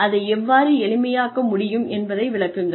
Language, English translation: Tamil, And explain, how it can be made simpler